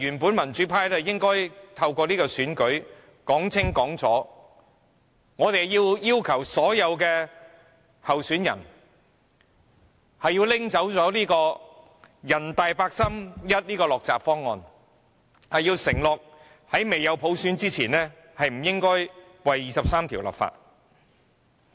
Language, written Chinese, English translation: Cantonese, 本來民主派應該透過這次選舉說清楚，我們要求所有候選人廢除人大八三一的落閘方案，承諾在未有"普選"前，不會就《基本法》第二十三條立法。, The democrats should have taken the opportunity made available by this election to clearly demand the candidates to abolish the NPCs 31 August Decision which imposed various restrictions and promise that the legislation for Article 23 of the Basic Law will not be enacted before the implementation of universal suffrage